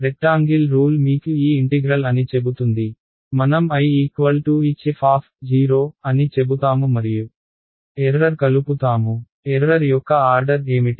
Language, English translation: Telugu, Rectangle rule will tell me that this integral over here, let us call this I; we will say I is equal to h of f naught and plus the error; what is the order of the error